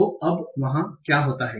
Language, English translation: Hindi, So, now what happens there